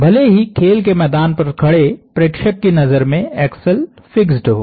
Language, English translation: Hindi, Even though in the eyes of the observer standing on the play ground the axle is fixed